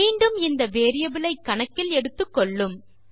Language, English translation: Tamil, So, again its taking this variable into account